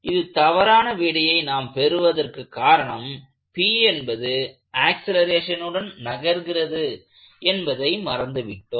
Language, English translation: Tamil, The reason you end up with the wrong answer here is that if we forget that p is accelerating